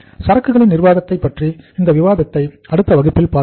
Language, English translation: Tamil, We will continue the discussion on this inventory management in the other class in the classes to come